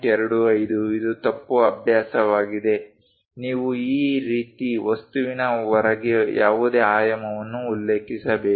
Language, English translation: Kannada, 25 this is wrong practice, you have to mention any dimension outside of the object like this